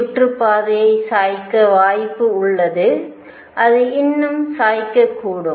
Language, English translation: Tamil, There is a possibility that the orbit could be tilted it could be even more tilted